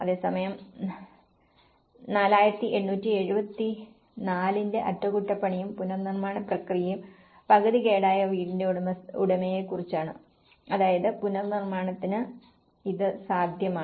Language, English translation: Malayalam, Whereas, the repair and retrofitting process of 4874 which is about owner of semi damaged house, which means it is possible for the reconstruction